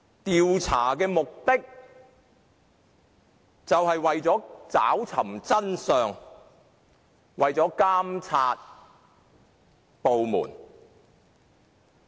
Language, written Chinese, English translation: Cantonese, 調查的目的是為了找尋真相和監察該部門。, The objective of an investigation is to seek the truth and monitor the organization concerned